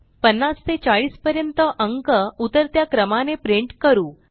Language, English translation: Marathi, Now Let us print numbers from 50 to 40 in decreasing order